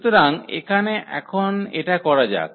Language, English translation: Bengali, So, here now let us do this